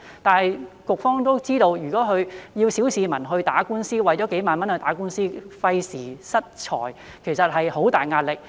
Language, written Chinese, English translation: Cantonese, 但是，局方都知道，如果要小市民去打官司，為了數萬元去打官司，費時失財，其實有很大壓力。, However the Bureau knows that ordinary citizens will be under tremendous pressure if they are to go to court for tens of thousands of dollars as it will cost them time and money